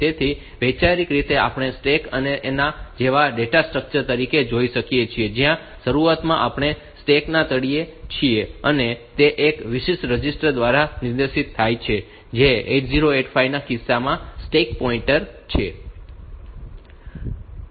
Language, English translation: Gujarati, So, conceptually we can view that stack as if a data structure like this, where at the beginning we are at the bottom of the stack, and that is pointed to by one special register which is the stack pointer in case of 8085